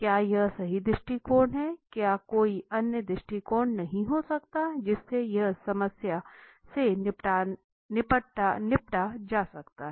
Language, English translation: Hindi, Is it the right approach could there be no other approach